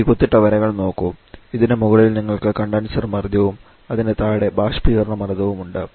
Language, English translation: Malayalam, Look at this dotted line above this you have the condenser pressure below this you have the evaporator pressure